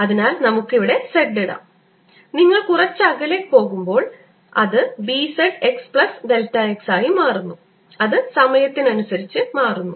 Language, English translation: Malayalam, so let's put z here and as you go little farther out, it changes to b, z, x plus delta x, and it also is changing with time